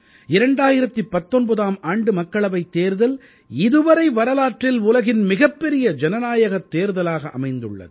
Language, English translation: Tamil, The 2019 Lok Sabha Election in history by far, was the largest democratic Election ever held in the world